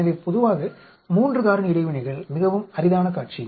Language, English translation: Tamil, So, generally 3 factor interactions are very rare scenario